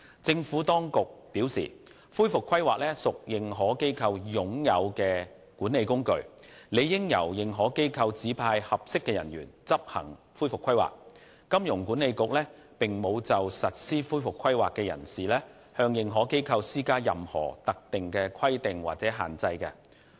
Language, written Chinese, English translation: Cantonese, 政府當局表示，恢復規劃屬認可機構"擁有"的管理工具，理應由認可機構指派合適的人員執行恢復規劃，香港金融管理局並無就實施恢復規劃的人士向認可機構施加任何特定的規定或限制。, The Administration states that a recovery plan is a management tool owned by an AI and it follows that AI itself is best placed to assign appropriate personnel responsible for implementing the recovery plan and the Hong Kong Monetary Authority HKMA does not impose any specific requirement or restriction on directors or persons in the context of recovery planning